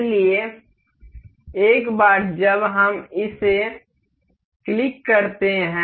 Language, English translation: Hindi, So, once we clicks it up